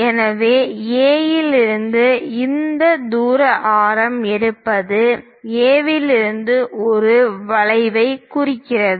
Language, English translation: Tamil, So, from A; picking these distance radius mark an arc from A